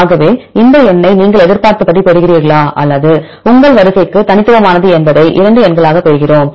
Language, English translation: Tamil, So, we get 2 numbers one is expected value right whether you get this number as expected or it is unique to your sequence